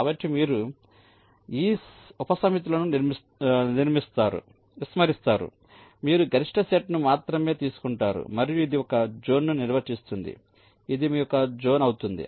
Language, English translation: Telugu, so you ignore this subsets, you only take the maximal set and this will define one zone